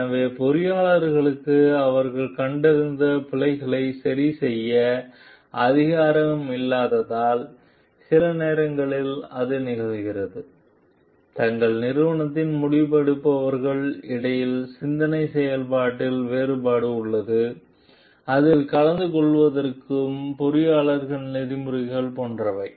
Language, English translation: Tamil, So, because engineers do not have the authority to remedy the errors that they have detected, so it sometimes happen there is a difference in thought process between the decision makers in their organization to attending to it and the engineering, like engineering ethics